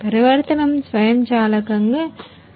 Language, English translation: Telugu, The transition is going to be happen automatically